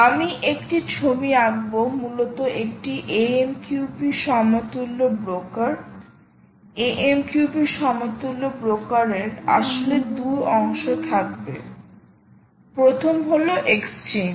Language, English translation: Bengali, essentially, a amqp equalent broker, amqp equalent broker will actually have two parts